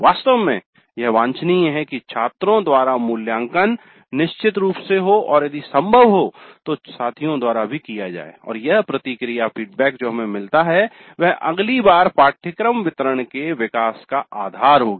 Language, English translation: Hindi, In fact it is desirable to have the evaluation by students definitely and if possible by peers and these feedback that we get would be the basis for development of the course delivery the next time